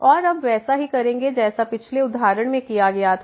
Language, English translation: Hindi, And now we will deal exactly as done in the previous example